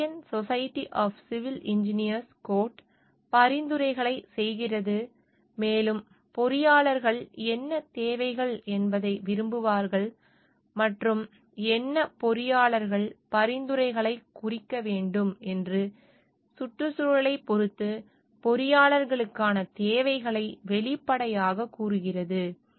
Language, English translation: Tamil, The American Society of Civil Engineers code make recommendations, and explicitly states the requirements for engineers with respect to the environment stating what engineers shall like what are the requirements and what engineers should means the recommendations